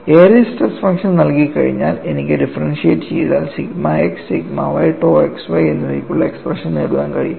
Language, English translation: Malayalam, See once Airy's stress function is given, I could simply differentiate and then get the expression for sigma x, sigma y, tau xy